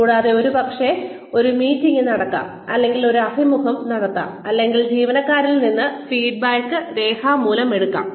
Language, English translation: Malayalam, And, maybe a meeting takes place, or an interview takes place, or feedback is taken in writing, from employees